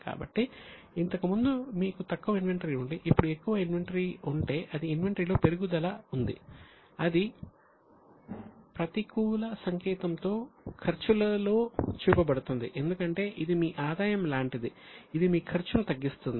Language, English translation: Telugu, That means there is an increase in the inventory that will be shown in the expenses with the negative sign because it is like your income, it reduces your expense